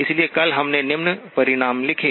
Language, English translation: Hindi, So yesterday we did write down the following result